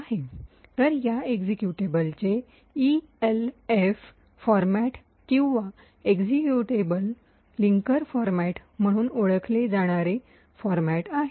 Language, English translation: Marathi, So, this executable has a particular format known as the ELF format or Executable Linker Format